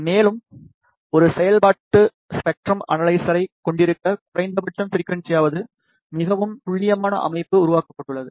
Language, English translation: Tamil, And, a very accurate system has been developed at least in the frequency domain to have a functional spectrum analyzer